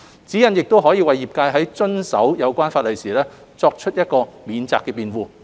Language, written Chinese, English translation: Cantonese, 指引亦可為業界在遵守有關法例時作為免責辯護。, The guidelines can also be used as a defence by the sector in abiding by the concerned legislation